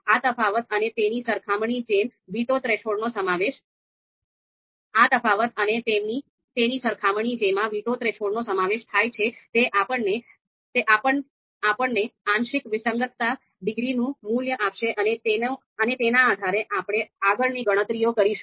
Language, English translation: Gujarati, So this particular difference and its comparison involving the veto threshold that is going to give us the you know value of this partial discordance degree, and based on that, we will you know you know make further computations